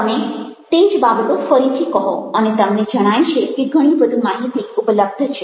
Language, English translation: Gujarati, you say the same thing all over again and you find that a lot more information is available